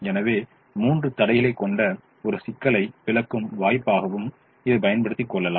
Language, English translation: Tamil, so let me also use this as an opportunity to explain a problem that has three constraints